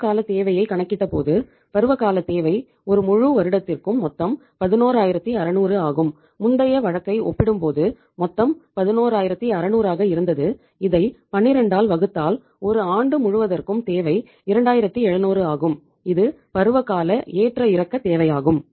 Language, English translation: Tamil, So we worked out the seasonal requirement and when we worked out the seasonal requirement the total was uh say total as compared to the uh say previous case which was 11600 for the whole of the year divided by 12 we could find out that whole of the year now the requirement is 2700 from the which is the seasonal fluctuating requirement